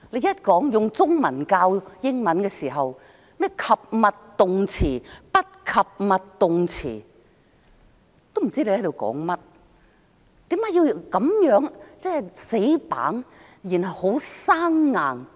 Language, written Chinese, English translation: Cantonese, 用中文教英文，說甚麼及物動詞、不及物動詞，都不知你在說甚麼，為何要這麼死板、這麼生硬？, Teachers teach English with Chinese and talk about things like transitive verbs intransitive verbs and so on . Students have no clue what the teacher is talking about . Why has it to be so rigid and unnatural?